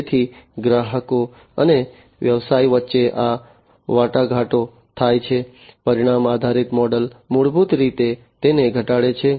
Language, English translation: Gujarati, So, between the customers and the business this the negotiations that happen, you know, the outcome based model basically reduces it